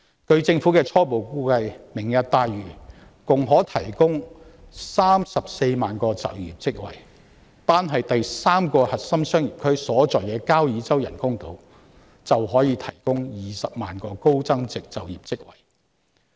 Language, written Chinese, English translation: Cantonese, 據政府的初步估計，"明日大嶼願景"共可提供34萬個職位，單是第三個核心商業區所在的交椅洲人工島便可以提供20萬個高增值職位。, As per the initial estimation by the Government the Lantau Tomorrow Vision can create 340 000 jobs in total . The project of the artificial island on Kau Yi Chau where the third CBD will be located alone can provide 200 000 high value - added jobs